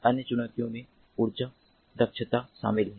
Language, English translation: Hindi, other challenges include energy efficiency